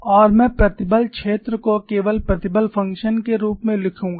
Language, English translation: Hindi, And I would write the stress field in the form of stress functions only